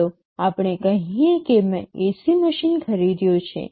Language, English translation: Gujarati, Let us say I have purchased an AC machine